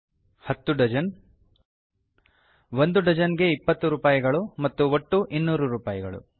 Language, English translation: Kannada, Banana green 10 dozens 20 rupees a dozen and 200 rupees total